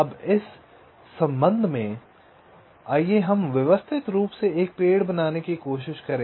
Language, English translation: Hindi, now, with respect to that, let us try to systematically construct a tree